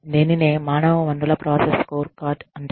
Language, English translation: Telugu, So, this is called, the human resources process scorecard